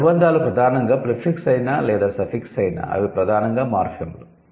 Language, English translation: Telugu, So, these affixes which are primarily prefixes or suffixes whatever they are, they are primarily morphemes